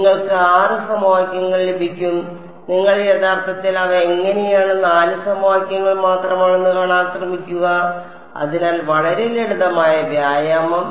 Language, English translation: Malayalam, You will get 6 equations and try to see how you actually they are basically only 4 equations, so very simple exercise